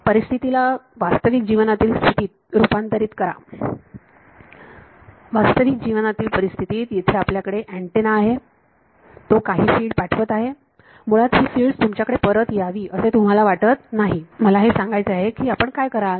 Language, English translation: Marathi, Transpose the situation into a real life situation; real life situation you have an antenna here and you do not the its sending out some fields you do not want the fields to come back to you basically that is the reflection I want to cut it out what would you do